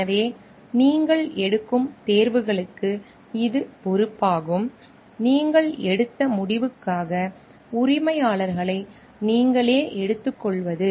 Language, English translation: Tamil, So, it is responsible for the choices that you make, it is the taking the owners on yourself for the decision that you have taken